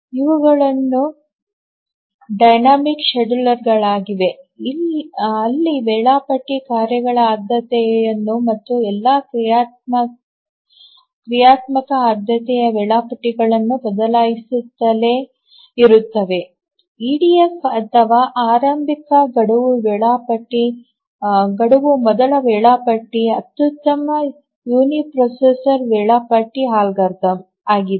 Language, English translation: Kannada, So, these are the dynamic scheduler where the scheduler keeps on changing the priority of the tasks and of all the dynamic priority schedulers, the EDF or the earliest deadline first scheduler is the optimal uniprocessor scheduling algorithm